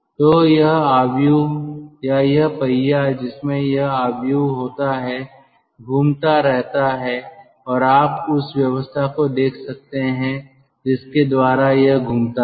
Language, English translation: Hindi, so this matrix, or this wheel which contains this matrix, that goes on rotating and you can see the arrangement by which it rotates